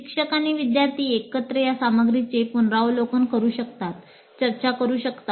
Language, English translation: Marathi, Teacher and student can together review, discuss such material